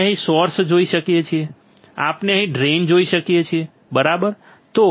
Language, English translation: Gujarati, We can see here source; we can see here drain right